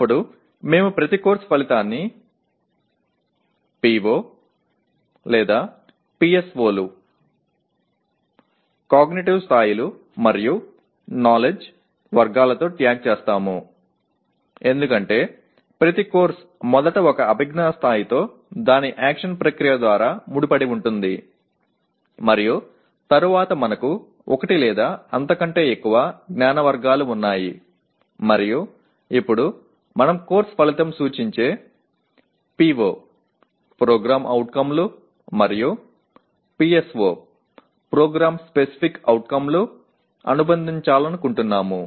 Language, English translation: Telugu, Then we tag each course outcome with the POs or the PSOs, cognitive levels and knowledge categories addressed because each course first of all is associated with one cognitive level through its action verb and then we have one or more knowledge categories that are addressed and now we also want to associate which are the POs and PSOs that a course outcome addresses